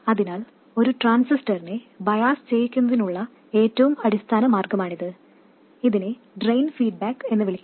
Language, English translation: Malayalam, So, this is the most basic way of biasing a transistor and this is known as Drain Feedback